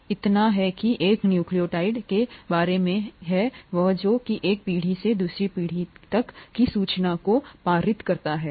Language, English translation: Hindi, So that is what a nucleotide is all about and that is what passes on the information from one generation to another